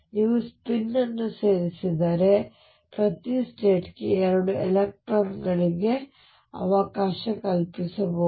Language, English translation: Kannada, If you include spin if include spin then every state can accommodate 2 electrons